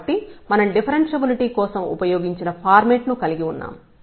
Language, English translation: Telugu, So, we have that format which we have used for the differentiability